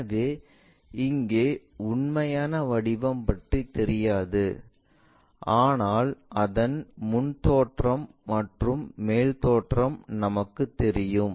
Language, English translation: Tamil, So, we do not know anything about true shape here, but just we know front view and top view of some object